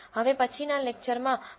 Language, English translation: Gujarati, In the next lecture, Prof